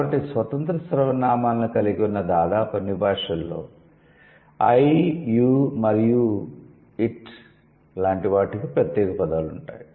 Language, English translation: Telugu, Almost all languages that have independent pronouns have separate words for I, U and other